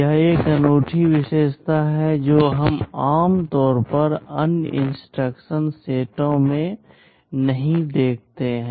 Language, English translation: Hindi, This is a unique feature that we normally do not see in other instruction sets